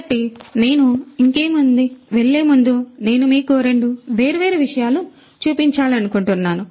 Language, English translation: Telugu, So, before I go any further I would like to show you two different things